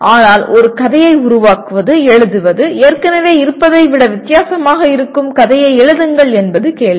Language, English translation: Tamil, But creating, writing a story the question is to write a story which should be different from what is already available